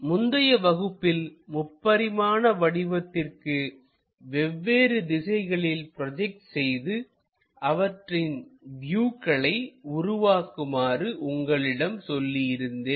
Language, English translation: Tamil, In the last class, I have asked you to construct this three dimensional picture into projectional views